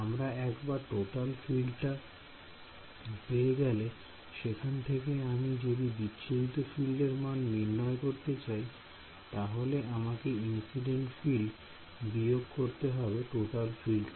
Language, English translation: Bengali, So, once I can get the total field if I want the scattered field I have to subtract of the incident field and vice versa for the scattered field vice right